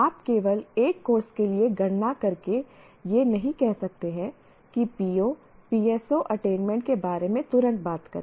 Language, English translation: Hindi, You cannot just compute for one course and say, immediately talk about the PO, PSO, attainment